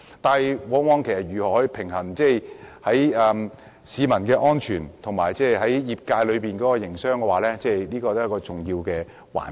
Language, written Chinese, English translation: Cantonese, 但是，如何平衡市民的安全和業界的營商，也是一個重要的環節。, However it is also important to strike a balance between public safety and business operation of the industry